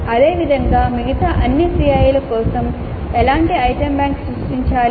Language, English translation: Telugu, Similarly for all the other COs what kind of item bank needs to be created